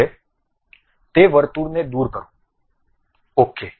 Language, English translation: Gujarati, Now, remove that circle, ok